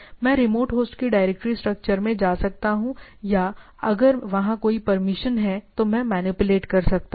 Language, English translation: Hindi, I can go to the directory structure of the remote host or there if there is a permission is there, I can manipulate